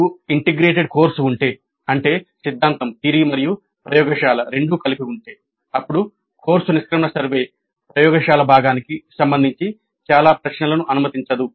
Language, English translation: Telugu, Now if we have an integrated course that means both theory and laboratory combined then the course exit survey may not allow too many questions regarding only the laboratory component